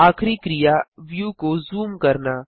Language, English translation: Hindi, Last action is Zooming the view